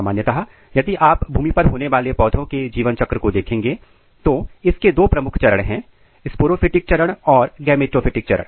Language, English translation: Hindi, In general, if you look the life cycle of a land plant, it has two major phases: sporophytic phase and gametophytic phase